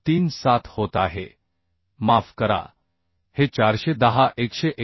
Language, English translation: Marathi, 37 sorry this is 410 189